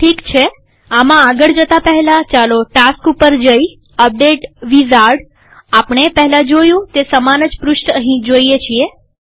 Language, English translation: Gujarati, Alright, before we proceed with this, let us first go to the task, update wizard – we see the identical page we saw a little earlier